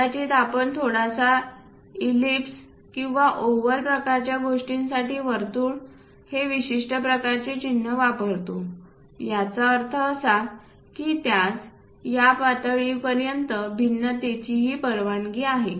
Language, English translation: Marathi, Perhaps a circle to slightly ellipse or oval kind of things we use special kind of symbols; that means, it is allowed up to that level